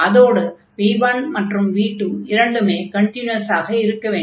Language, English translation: Tamil, And this v 1 and v 2, they are the continuous functions